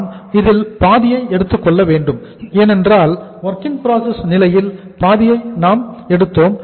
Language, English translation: Tamil, We have to take the half of this because at the WIP stage we take half